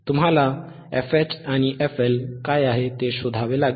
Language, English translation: Marathi, yYou have to find what is fH and what is f fL, right